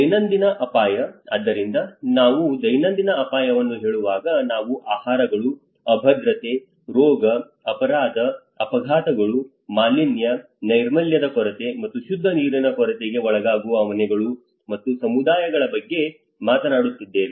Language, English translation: Kannada, Everyday risk, so when we say everyday risk, we are talking about households and communities exposed to foods, insecurity, disease, crime, accidents, pollution, lack of sanitation and clean water